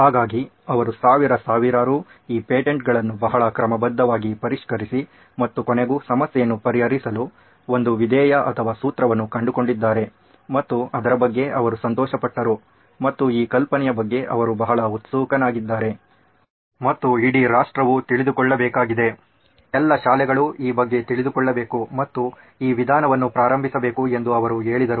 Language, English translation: Kannada, So he did that very methodically with thousands and thousands of these patents and finally figured out that a way an algorithm or a formula to actually solve the problem and he was happy about it and he said this is great this is extremely excited about this idea and he said the whole nation has to know about this, all the schools have to know about this they have to start doing this, they have to start embarking on this method